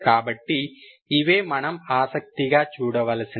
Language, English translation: Telugu, So this is what is we are interested